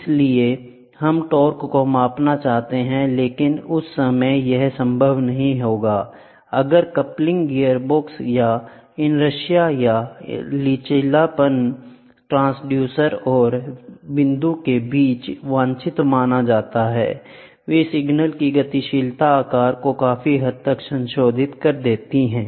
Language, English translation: Hindi, So, we would like to measure torque, but at that point, it is not possible if there are coupling gearbox or just substantial inertia or flexibility between the transducer and the point where the torque is desired to be known those can substantially modify the dynamics shape of the signal